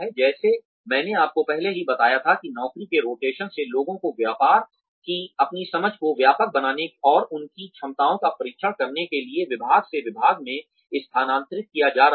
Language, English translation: Hindi, Like, I told you earlier, job rotation is moving people from, department to department, to broaden their understanding of the business, and to test their abilities